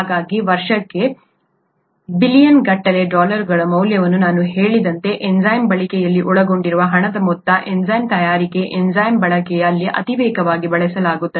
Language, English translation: Kannada, So, heavily used as I said billions of dollars worth per year is what what is involved, the amount of money involved in enzyme use; enzyme manufacture, enzyme use